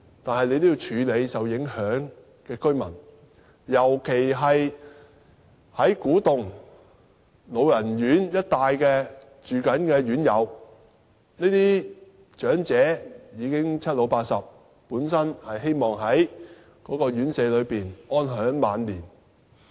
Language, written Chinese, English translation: Cantonese, 但是，局長要處理受影響居民，尤其古洞一帶老人院的院友，這些長者已經年邁，本身希望在院舍安享晚年。, That said the Secretary needs to take care of the affected residents especially the elderly residents in a residential care home for the elderly in Kwu Tung